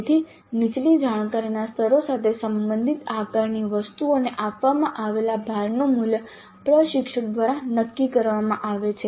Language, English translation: Gujarati, So the weightage is given to the assessment items belonging to the lower cognitive levels is decided by the instructor